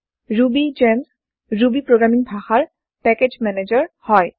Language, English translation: Assamese, RubyGems is a package manager for Ruby programming language